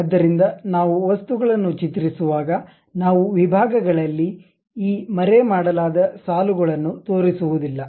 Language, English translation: Kannada, So, at sections when we are really drawing the things we do not show these hidden kind of lines